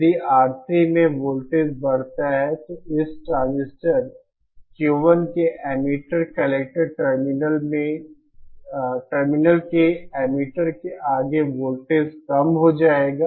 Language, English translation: Hindi, If the voltage across R3 increases, then the voltage drop across emitter here across the emitter collector terminal for this transistor Q 1 will reduce